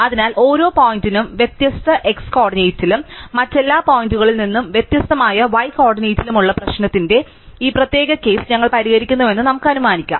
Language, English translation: Malayalam, So, let us just assume that we are solving this special case of the problem, where every point is at a different x coordinate and at different y coordinate from every other point